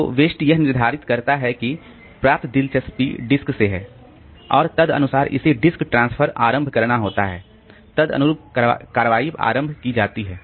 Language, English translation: Hindi, So, the OS determines that the interrupt received is from the disk and accordingly it has to initiate the disk transfer, initiate the corresponding action